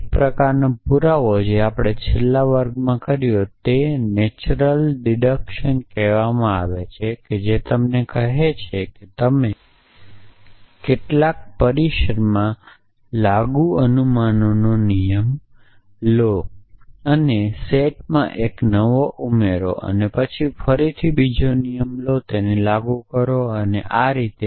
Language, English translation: Gujarati, One of the kind of proof that we did in the last class is called natural deduction which says you take a rule of inference applied to some premises and add a new one to the set and then again take another rule and apply it and so on